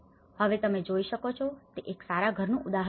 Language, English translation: Gujarati, Now, this is a good example of what you can see is a house